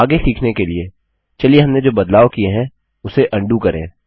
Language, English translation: Hindi, To learn further, let us first undo the changes we made